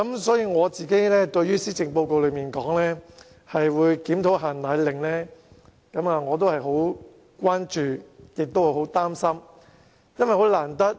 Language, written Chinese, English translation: Cantonese, 所以，對於施政報告提出檢討"限奶令"，我十分關注，而且感到十分擔心。, I am therefore gravely concerned and very worried about the proposal in the Policy Address for reviewing the export control of powdered formulae